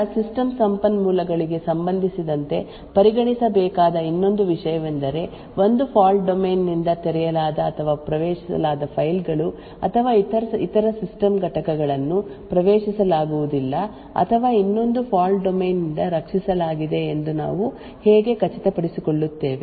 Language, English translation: Kannada, to the system resources how would we ensure that files or other system components which are opened or accessed by one fault domain is not accessed or is protected from another fault domain